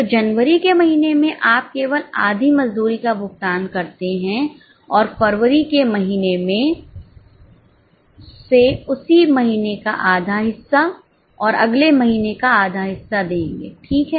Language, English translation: Hindi, So, in the month of Jan, you only pay half the wages and from February onwards half of the same month, half of the next month